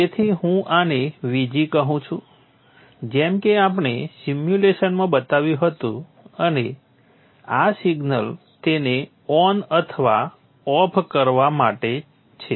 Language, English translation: Gujarati, So therefore I am calling this one as VG as we had indicated in the simulation and this is the signal to drive this on or off